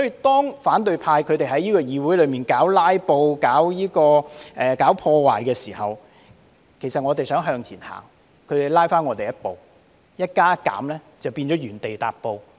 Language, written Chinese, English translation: Cantonese, 當反對派在議會搞"拉布"、搞破壞的時候，當我們想向前走，他們卻拉我們後退一步，一加一減就變了原地踏步。, When the opposition camp was filibustering and causing damages in this Council and when we wanted to move forward they held us back and we had to move one step backward and at the end of the day we remained stagnant